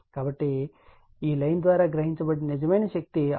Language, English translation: Telugu, So, this real power absorbed by line is 695